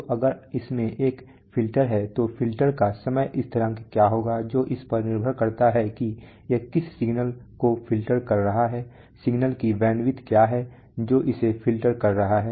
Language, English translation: Hindi, So if it has a filter what will be the time constants of the filter that depends on what signal it is filtering what is the bandwidth of the signal it is filtering